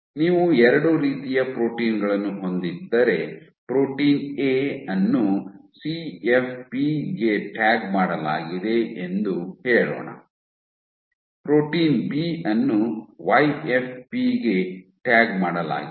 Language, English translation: Kannada, If you have 2 typed proteins let us say protein A which is tagged to CFP, protein B which is tagged to YFP